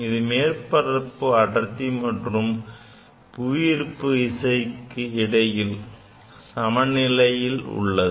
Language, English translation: Tamil, And it is balanced with the surface tension as well as the gravitational force downwards